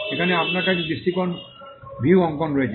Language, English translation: Bengali, Here, you have the perspective view drawing